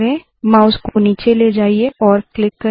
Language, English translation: Hindi, Move the mouse to the bottom and click